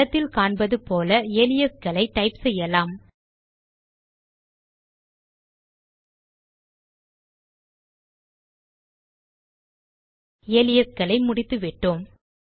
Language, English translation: Tamil, So let us type in aliases as shown in the image.ltpausegt And we are done with the aliases